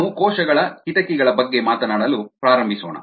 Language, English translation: Kannada, we are going to begin talking about windows to the cell